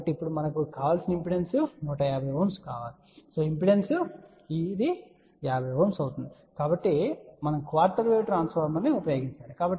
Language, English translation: Telugu, So, now we want desired impedance at this point is 150 ohm this impedance is 50 ohm, so we need to use a quarter wave transformer we know the formula